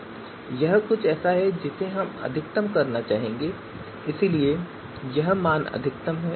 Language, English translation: Hindi, So this is something that we would like to maximize and therefore this value is a max